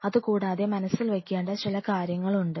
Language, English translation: Malayalam, And there are certain points which you have to kept keep in mind